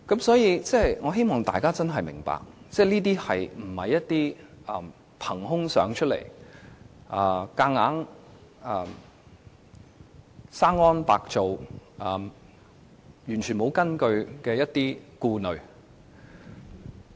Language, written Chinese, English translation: Cantonese, 所以，我希望大家真的明白，這些並非憑空想象出來，無中生有，完全沒有根據的顧慮。, Therefore I do hope all of us can understand that these concerns are not pure fabrication and imagination . Nor are they unfounded worries